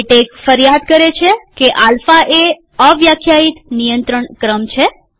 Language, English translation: Gujarati, Latex complains that alpha a is an undefined control sequence